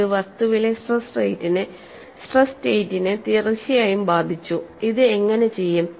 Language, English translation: Malayalam, Definitely affect the stress state in the body, how does this do